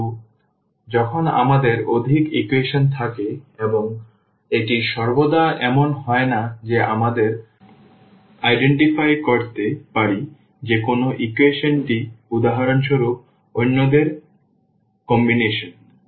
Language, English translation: Bengali, But, when we have more equations and this is not always the case that we can identify that which equation is a combination of the others for example, example